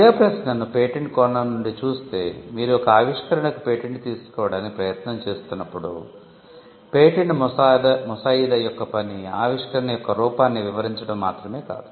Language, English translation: Telugu, But the question is from a patenting perspective, when you patent an invention, the object of patent drafting is not to simply describe the invention